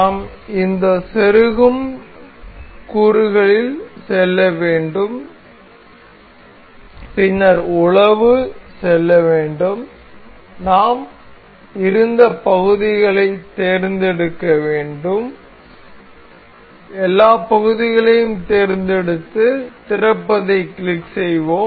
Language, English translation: Tamil, We will go on we have to go on this insert component then go to browse, we have to select the parts we have been we will control select all the parts and click open